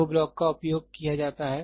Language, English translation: Hindi, 2 blocks are used